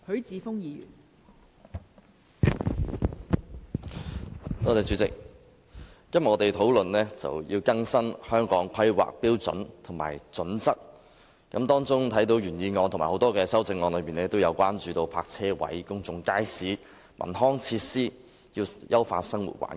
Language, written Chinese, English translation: Cantonese, 代理主席，今天我們討論更新《香港規劃標準與準則》，有關的原議案及多項修正案都提出要增加泊車位、公眾街市及文康設施，以優化生活環境。, Deputy President we are discussing the updating of the Hong Kong Planning Standards and Guidelines HKPSG today . The original motion and various amendments have proposed an increase in parking spaces public markets as well as cultural and leisure facilities to improve the living environment